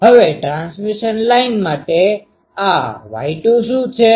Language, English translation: Gujarati, Now, what is this Y 2 for a transmission line